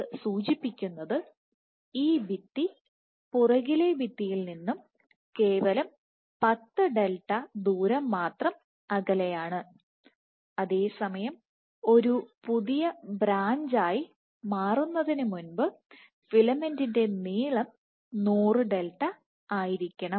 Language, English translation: Malayalam, So, what this suggests is that the wall is only 10 delta away from the back wall, while it takes the filament has to be 100 delta in length before a new branch can form ok